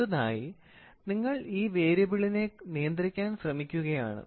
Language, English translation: Malayalam, And next thing, you are trying to control this variable